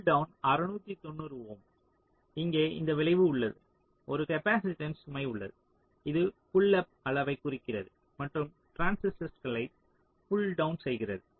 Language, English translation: Tamil, so pull down is six, ninety ohm, and here there is a effect, here there is a capacitive load which indicates the sizes of the pull up and pull down transistors